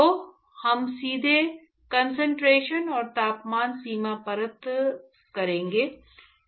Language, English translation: Hindi, So, we will directly go and do concentration and temperature boundary layer